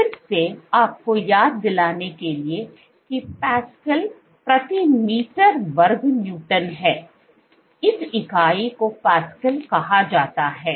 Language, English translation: Hindi, So, again just to remind you pascals is Newton per meter square this unit is called pascals